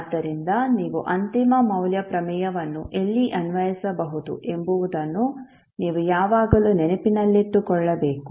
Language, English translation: Kannada, So you have to always keep in mind where you can apply the final value theorem where you cannot use the final value theorem